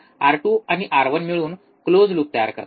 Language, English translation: Marathi, R 2 and R 1 this forms a close loop